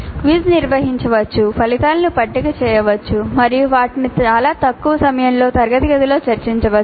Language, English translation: Telugu, The quiz can be administered, the results can be obtained tabulated and they can be discussed in the classroom in a very short time